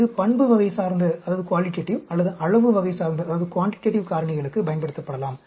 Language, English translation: Tamil, It can be used for qualitative or quantitative factors